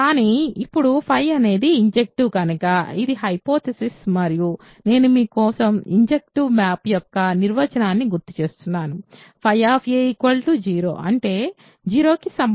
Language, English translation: Telugu, But, now since phi is injective which is the hypothesis and I recalled for you the definition of injective maps phi of a is equal to phi of 0; that means, a equal to 0